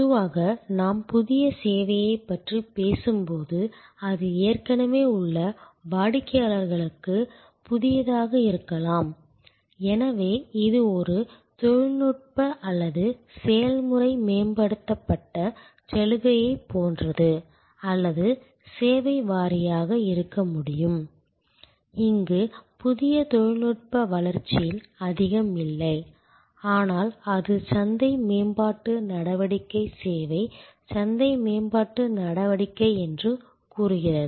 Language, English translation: Tamil, Normally, when we talk about new service it can therefore, either be new to the existing customers, so this is the more like a technological or process enhanced offering or it can be service wise not very different not much of new technology development here, but it say market development activity service market development activity